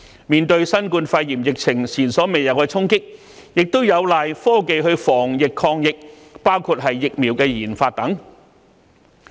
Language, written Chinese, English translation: Cantonese, 面對新冠肺炎疫情前所未有的衝擊，我們有賴科技防疫抗疫，包括疫苗的研發。, In the face of the unprecedented impact of COVID - 19 we rely on IT to prevent and combat the epidemic including the development of vaccines